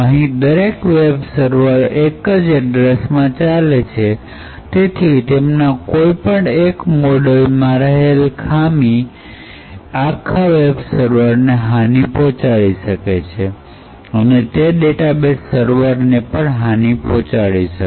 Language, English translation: Gujarati, Further, note that since each web server runs in a single address space, single vulnerability in any of these modules could compromise the entire web server and could possibly compromise the entire data base server as well